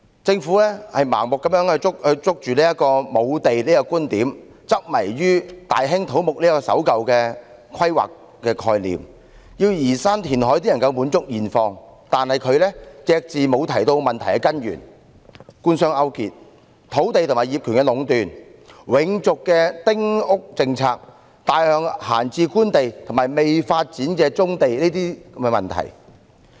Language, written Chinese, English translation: Cantonese, 政府盲目抓緊沒有土地的觀點，執迷於大興土木的守舊規劃概念，聲稱要移山填海才能滿足現況，卻隻字不提這問題的根源是官商勾結、土地和業權壟斷、永續的丁屋政策、大量閒置官地和未發展的棕地等問題。, Blindly adhering to the viewpoint on land shortage and sticking to the old planning concept of massive construction the Government claims that removal of hills and reclamation are necessary to satisfy the current needs . But it makes no mention that the root causes of this problem are collusion between the Government and the business sector monopolization of land and ownership the everlasting small house policy plenty of idle government land and brownfield sites not being developed etc